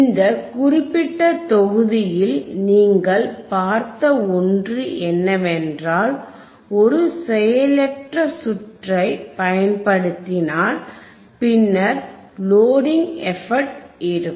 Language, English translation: Tamil, The one thing that you got in this particular module is that, if I use a passive circuit, passive circuit then there will be a effect of Loading